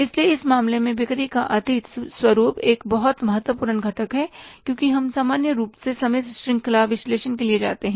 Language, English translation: Hindi, So, in this case, past pattern of sales is a very important component because we go normally for the time series analysis, we create a trend and we go for the trend analysis